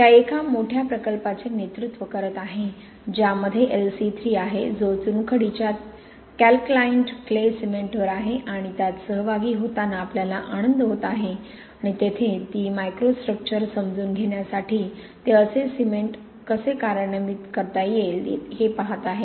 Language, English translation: Marathi, She is heading a major project that we are happy to be involved in which is LC 3 which is on limestone calcined clay cement and there really she is going the whole stretch from the understanding of the microstructure to looking at how such a cement can be implemented and used in practice